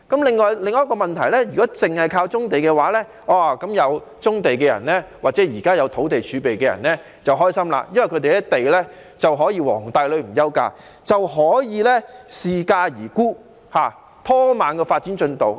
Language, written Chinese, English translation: Cantonese, 另一個問題是，如果單靠棕地，那麼擁有棕地的人或目前有土地儲備的人便會很開心，因為他們的地可以"皇帝女唔憂嫁"，待價而沽、拖慢發展進度。, Another problem is If we rely solely on brownfield sites then people owning brownfield sites or having land reserve will be very happy because their land will be well sought after . They may hoard up their land for more favourable prices which will delay the progress of development